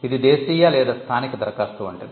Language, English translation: Telugu, It is more like a domestic or local application